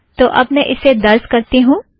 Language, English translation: Hindi, So let me bring it here